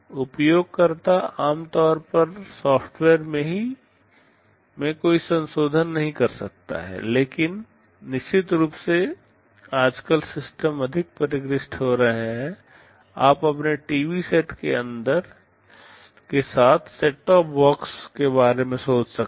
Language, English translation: Hindi, The user normally cannot make any modifications to the software, but of course, nowadays systems are becoming more sophisticated; you think of a set top box that you use with your TV sets